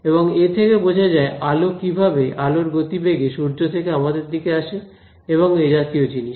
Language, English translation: Bengali, And that explained why light is able to travel at the speed of light from the sun to us and things like that